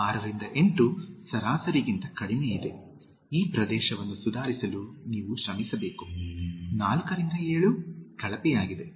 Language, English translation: Kannada, 6 to 8 is below average, you need to work hard to improve this area, 4 to 7 is poor